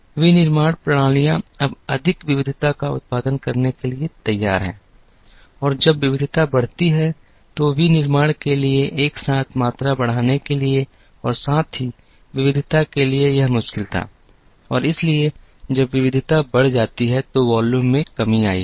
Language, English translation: Hindi, So, manufacturing systems are now geared to producing more variety and when the variety increases, it was difficult for manufacturing to simultaneously increase the volume as well as variety and therefore, when the variety increased, the volumes came down